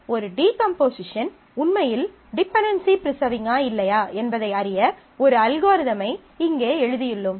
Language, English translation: Tamil, So, here I have written down the algorithm to test if a decomposition actually preserves the dependency or not